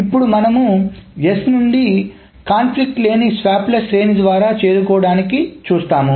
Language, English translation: Telugu, Now we will see that if we can arrive at this from S through a series of non conflicting swaps